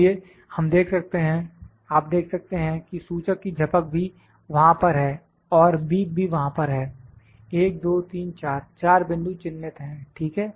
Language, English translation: Hindi, So, we can see you can just now watch that the blink of the indicator is also there and the beep is also there 1 2 3 4, 4 points are marked, ok